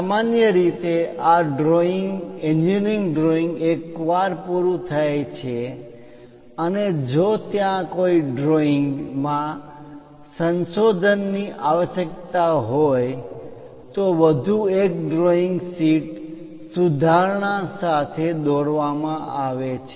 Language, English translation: Gujarati, Usually, for these engineering drawings once component is meet and if there is any revision required one more drawing sheet will be provided with the revision